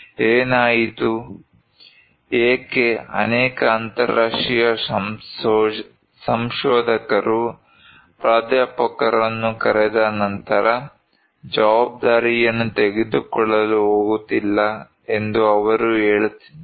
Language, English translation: Kannada, What happened, why after calling so many international researchers, professors, they are saying that this is what we are not going to take the responsibility